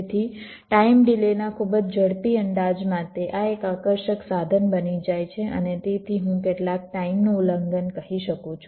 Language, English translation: Gujarati, so this becomes an attractive tool for very quick estimate of the timing delays and hence some, i can say, timing violations